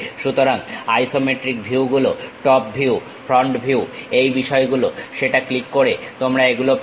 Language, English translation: Bengali, So, the isometric views, top view, front view these things, you will have it by clicking that